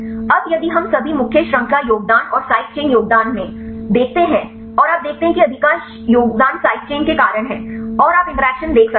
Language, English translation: Hindi, Now, if we see the contributions all the main chain contribution and the side chain contributions and you see most of the contributions are due to the side chains and you can see the interaction energy of 1